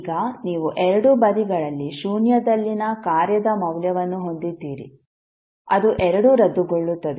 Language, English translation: Kannada, Now you have value of function at zero at both sides, those both will cancel out